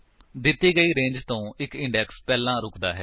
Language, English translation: Punjabi, It stops one index before the given range